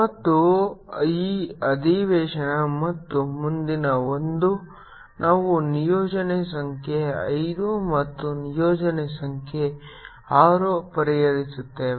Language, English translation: Kannada, and this session and the next one will be solving a assignment, number five and assignment number six